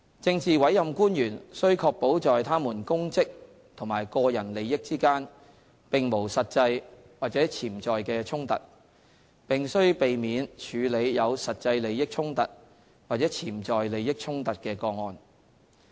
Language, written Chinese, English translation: Cantonese, 政治委任官員須確保在他們公職和個人利益之間並無實際或潛在的衝突，並須避免處理有實際利益衝突或潛在利益衝突的個案。, Politically appointed officials PAOs must ensure that no actual or potential conflict arises between their public duties and their private interests and should refrain from handling cases with actual or potential conflict of interest